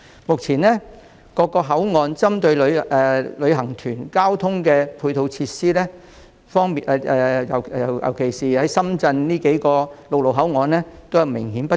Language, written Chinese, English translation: Cantonese, 目前，各口岸供旅行團使用的交通配套設施，特別是深圳數個陸路口岸的設施均明顯不足。, Ancillary transport facilities currently provided at various boundary control points for tour groups are obviously insufficient and the problem is particularly serious at several land boundary control points in Shenzhen